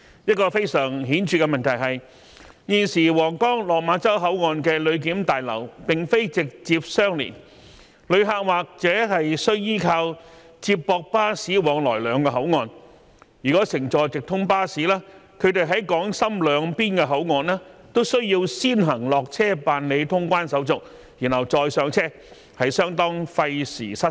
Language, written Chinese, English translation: Cantonese, 一個非常顯著的問題是，現時皇崗/落馬洲口岸的旅檢大樓並非直接相連，旅客或須依靠接駁巴士往來兩個口岸，如果乘坐直通巴士，他們在港深兩邊口岸都需要先行落車辦理通關手續，然後再上車，相當費時失事。, A very noticeable problem is that the passenger clearance buildings of the Huanggang Port and Lok Ma Chau Boundary Control Point are two unconnected buildings thus passengers have to rely on shuttle bus to travel between the two control points . For those who use direct cross - boundary bus service they have to alight and go through clearance formalities in Hong Kongs boundary control point and then board the bus for the Huanggang Port and go through clearance formalities again it is really time consuming